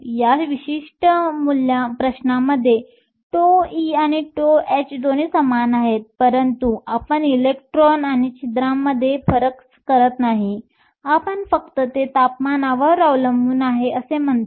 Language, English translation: Marathi, In this particular question, tau e and tau h are both the same, because we do not distinguish between electrons and holes; we only say it depends upon temperature